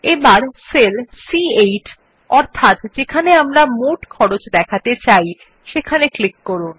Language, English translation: Bengali, Now lets click on cell number C8 where we want to display the total of the costs